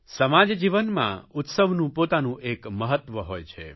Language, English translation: Gujarati, Festivals have their own significance in social life